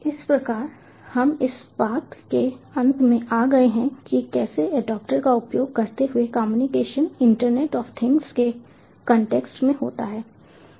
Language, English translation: Hindi, so we have thus come to the end of how the communication using adaptors happen in the context of interoperability in internet of things